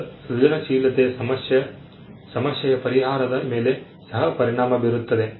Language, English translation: Kannada, Now, creativity also has a bearing on problem solving